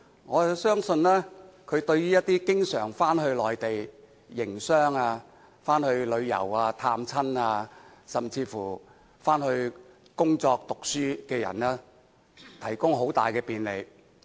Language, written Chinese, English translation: Cantonese, 我相信，對於一些經常往返內地營商、旅遊、探親，甚至工作、讀書的人，這項安排將提供很大便利。, I believe the measure will greatly facilitate those passengers who frequently travel to the Mainland for business tour family visit or even work and study